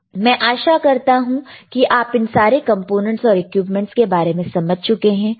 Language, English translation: Hindi, So, I hope now you are clear with thisese components within this equipment